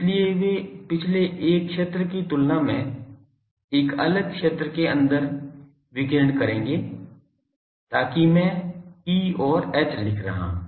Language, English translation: Hindi, So, they will be radiating inside a different field than the previous one so that I am writing E and H